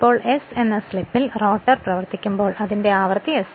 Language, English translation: Malayalam, Now, when the rotor running at slip s at that time its frequency being sf frequency is changing